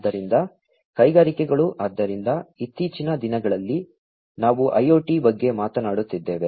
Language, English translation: Kannada, So, industries so, nowadays, we are talking about IoT